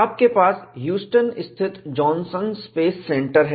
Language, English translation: Hindi, You have the Johnson Space Center in Houston